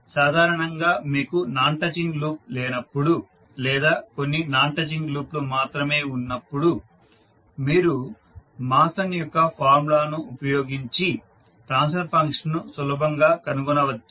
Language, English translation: Telugu, So generally when you have no non touching loop or only few non touching loop you can utilize the Mason’s formula easily find out the transfer function